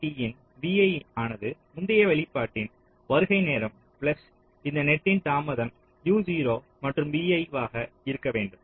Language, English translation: Tamil, so a a t of v i should be the arrival time in the previous output plus the delay of this net from u zero to v i